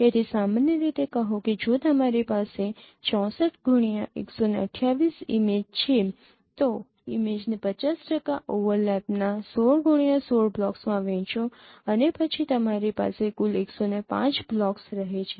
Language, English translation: Gujarati, So, typically say if you have a 64 into 128 image, so divide the image into 16 cross 16 blocks of 50 percent overlap and then you have say 105 blocks in total